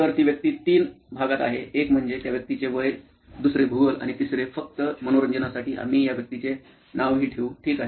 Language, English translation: Marathi, So the persona is in three parts one is the age of the person, second is the geography and third just for fun we will even name this person, ok